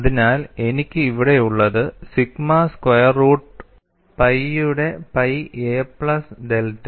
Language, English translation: Malayalam, K sigma is sigma square root of pi into a plus delta